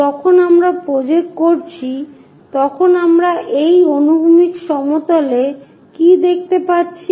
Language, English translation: Bengali, When we are projecting what we can see is on this horizontal plane